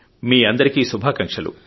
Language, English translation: Telugu, I wish everyone all the best